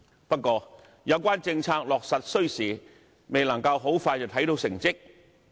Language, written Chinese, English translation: Cantonese, 不過，有關政策落實需時，未能夠很快看到成績。, But such policies take time to materialize and there is no quick fix in sight